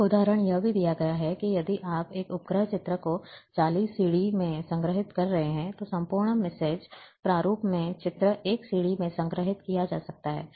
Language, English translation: Hindi, One example is also given, that if you are storing a satellite images or in 40 CDs, then entire, those images in MrSID format, can be stored in 1 CD